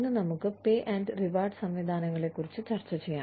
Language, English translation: Malayalam, Let us discuss, pay and reward systems, today